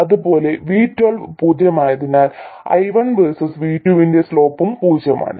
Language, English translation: Malayalam, And similarly because Y1 2 is 0, slope of I1 versus V2 is also 0